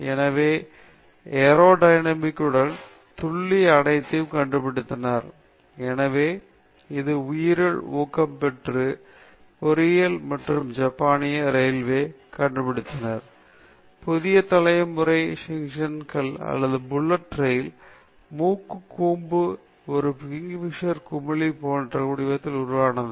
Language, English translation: Tamil, So, they figured out the aero dynamic body, the precision all, this; so, it is bio inspired, bio inspired engineering and the Japanese Railway figured out a way by which now the nose cone of the new generation Shinkansen or the bullet train, it is shaped like the beak of a kingfisher